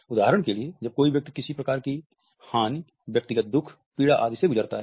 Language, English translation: Hindi, For example, when somebody undergoes some type of a loss, personal grief, suffering etcetera